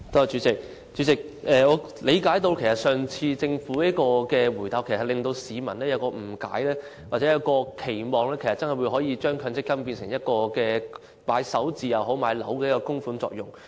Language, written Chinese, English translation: Cantonese, 主席，政府上次的答覆，是會令市民誤解或期望將來可以把強積金供款作首置或購買物業之用。, President the reply of the Government last time may make people have the misunderstanding or expectation that accrued MPF benefits can be withdrawn for first home purchase or property purchase in the future